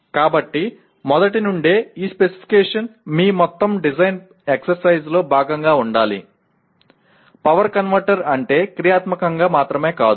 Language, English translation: Telugu, So right from the beginning, this specification should be part of your entire design exercise, not just functionally what a power converter is